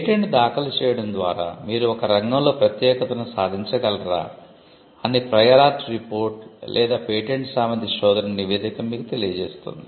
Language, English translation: Telugu, Now a prior art report or a patentability search report will tell you whether you can achieve exclusivity by filing a patent